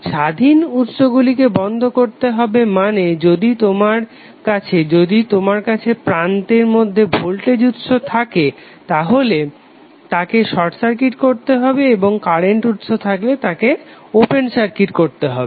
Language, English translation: Bengali, Turning off the independent sources means if you have the voltage source inside the terminal you will replace it with the short circuit and if you have current source you will replace it with the open circuit